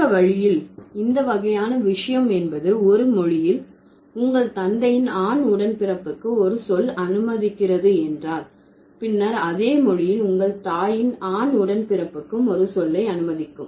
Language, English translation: Tamil, If a language allows a term for the male sibling of your father, then the same language would also allow the term for the male sibling of your mother